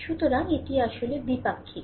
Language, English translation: Bengali, So, it is also bilateral